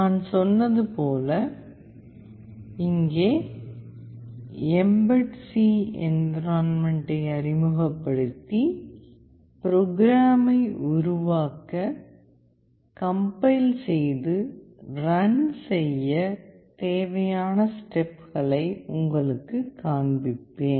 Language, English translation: Tamil, As I said I will introduce the mbed C environment and I will show you the steps that are required to create, compile and run the programs